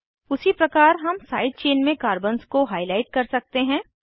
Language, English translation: Hindi, Similarly, we can highlight the carbons in the side chain